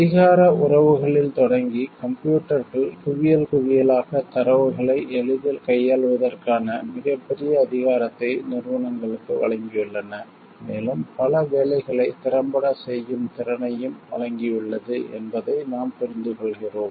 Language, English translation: Tamil, Starting with power relationships, we understand like computers have given like a huge power ability to the organizations to deal with in heaps and heaps of data easily and it has also given the capability to do many jobs effectively